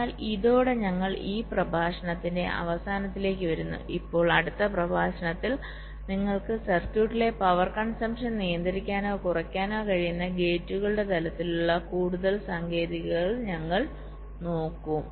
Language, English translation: Malayalam, now in the next lecture we shall be looking at some more techniques at the level of gates by which you can control or reduce the power consumption in the circuit